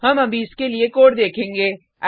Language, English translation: Hindi, We will see the code for this